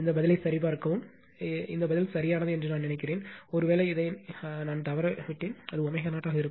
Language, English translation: Tamil, Just check this answer I think this answer is correct, perhaps this I missed this one, it will be omega 0 right